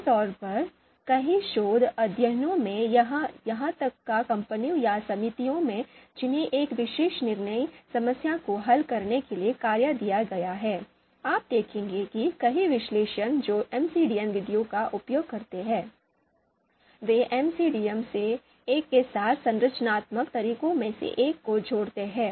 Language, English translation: Hindi, So typically, you would see you know many research studies or even in the you know companies or the committees which are which are which have been given the task to solve a particular decision problem, the many analysts which use MCDM methods, they typically combine one of the structural methods methods with one of the MCDM methods or MADM methods